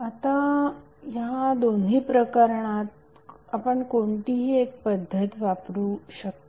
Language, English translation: Marathi, Now in both of these cases you can use any one of the method